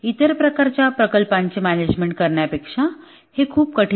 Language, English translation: Marathi, It is much harder than managing other types of projects